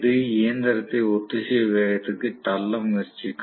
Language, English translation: Tamil, So that will try to push the machine back to synchronous speed that is what is going to happen